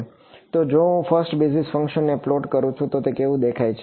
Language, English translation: Gujarati, So, if I plot the first basis function what does it look like